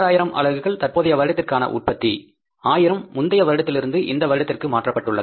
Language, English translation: Tamil, 16,000 units current production, 1,000 units transferred from the previous period